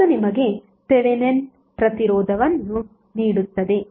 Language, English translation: Kannada, That will give you simply the Thevenin resistance